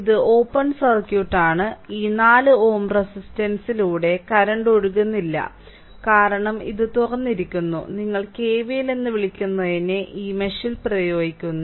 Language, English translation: Malayalam, So, the this is open circuit, so no current is flowing through this 4 ohm resistance, because this is open and therefore, you apply your what you call that KVL in this mesh